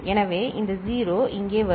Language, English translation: Tamil, So, this 0 will come here